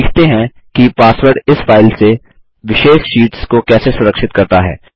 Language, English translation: Hindi, Lets learn how to password protect the individual sheets from this file